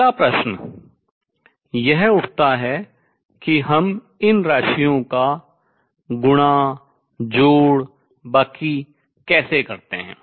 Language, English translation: Hindi, The next question that arises is how do we multiply add subtract these quantities